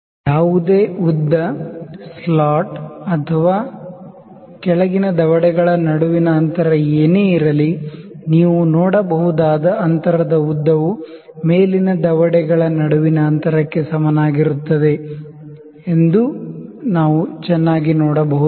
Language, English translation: Kannada, We can very well see that whatever the length, whatever is the slot length or whatever is the gap between the lower jaws, that you can see the space is equivalent to the lengths between or the distance between the upper jaws